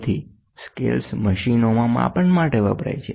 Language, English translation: Gujarati, So, the scales are used for measurement in machines